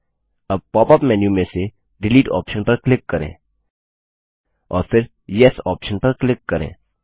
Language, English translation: Hindi, Now click on the Delete option in the pop up menu and then click on the Yes option